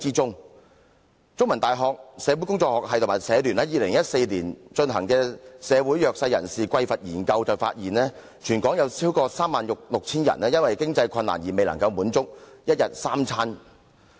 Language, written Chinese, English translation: Cantonese, 香港中文大學社會工作學系及香港社會服務聯會在2014年進行的"社會弱勢人士的匱乏研究"發現，全港有超過 36,000 人因經濟困難而未能負擔一天三餐。, According to the findings of the Research Study on the Deprivation of the Disadvantaged in Hong Kong jointly conducted by The Chinese University of Hong Kong and the Hong Kong Council of Social Services in 2014 more than 36 000 people territory - wide are unable to afford three square meals a day due to financial difficulties